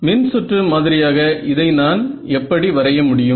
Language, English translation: Tamil, So, in terms of a circuit model, how can I think of this